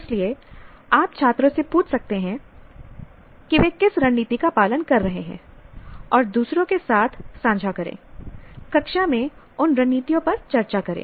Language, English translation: Hindi, So you can ask the students to pen down what strategy are they following and share it with others, discuss those strategies in class